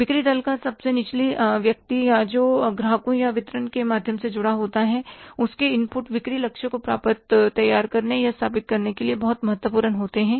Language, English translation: Hindi, The lowest person in the sales force who is directly connected to either customers or the channels of the distribution, his inputs are very important for preparing or setting the sales target